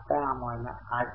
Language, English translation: Marathi, So, you get 8